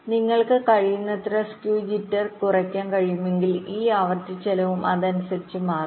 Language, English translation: Malayalam, so so if you can reduce skew jitter as much as possible, your this frequency cost will also reduced accordingly